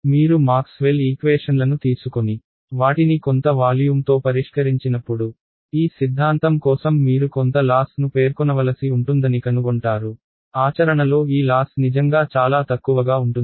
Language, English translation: Telugu, When you take Maxwell’s equations and solve them over some volume, you will find that you need to specify some tiny amount of loss for this theorem to hold to, practically this loss can be really really small